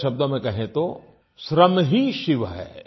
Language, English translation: Hindi, In other words, labour, hard work is Shiva